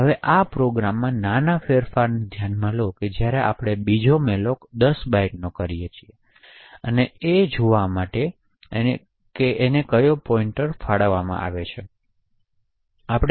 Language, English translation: Gujarati, Now consider the small change in the program where we actually invoke another malloc of 10 bytes and allocate the pointer to see